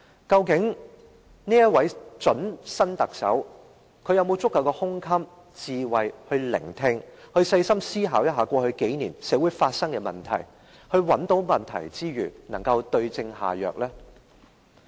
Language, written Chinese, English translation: Cantonese, 究竟這位準特首有沒有足夠的胸襟和智慧聆聽民意，細心思考過去數年社會發生的問題，找出問題之餘，更能夠對症下藥呢？, Will this would - be Chief Executive be magnanimous and wise enough to listen to public views think carefully about the problems which have arisen in society over the past few years and give the right prescription after identifying the ills?